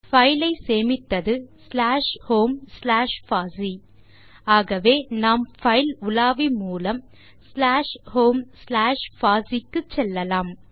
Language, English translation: Tamil, We have saved the file to slash home slash fossee so let us navigate to slash home slash fossee using thefile browser